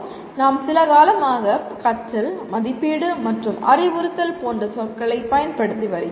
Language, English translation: Tamil, We have been using these words for quite some time namely the learning, assessment, and instruction